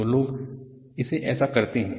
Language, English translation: Hindi, So, this is how people do it